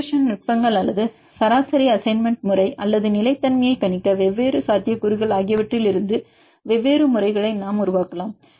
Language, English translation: Tamil, Then we can develop different methods either from regression techniques or average assignment method or different potentials to predict the stability